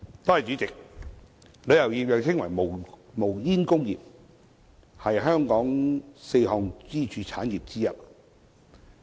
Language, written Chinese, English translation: Cantonese, 主席，旅遊業又稱為"無煙工業"，是香港四大支柱產業之一。, President tourism also known as the smokeless industry is one of the four pillar industries of Hong Kong